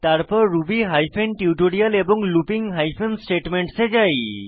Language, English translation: Bengali, Then to ruby hyphen tutorial and looping hyphen statements directory